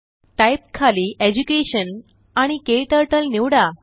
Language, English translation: Marathi, Under Type, Choose Education and KTurtle